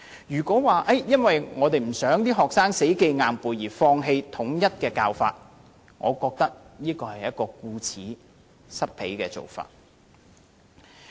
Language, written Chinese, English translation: Cantonese, 如果說，因為我們不希望學生死記硬背而放棄統一教法，我認為是顧此失彼。, If it is suggested that we abandon the uniform mode of teaching to spare students the pain of rote learning then I think we have attended to one thing and lost sight of another